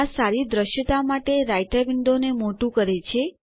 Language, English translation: Gujarati, This maximizes the Writer window for better visibility